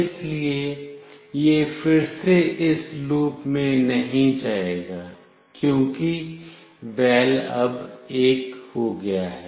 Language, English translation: Hindi, So, it will not go to this loop again, because “val” has now become 1